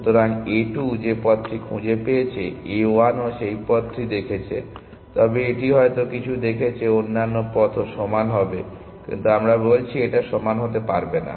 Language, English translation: Bengali, So, whichever path A 2 found a 1 would have also seen that path, but may it had seen some other path as well be equal, but we are saying it does not have to be equal